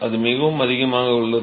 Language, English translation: Tamil, That is pretty high